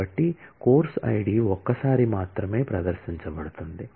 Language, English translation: Telugu, So, course id is featuring only once